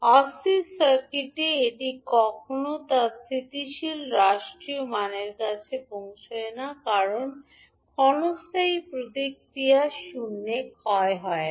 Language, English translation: Bengali, Now in unstable circuit it will never reach to its steady state value because the transient response does not decay to zero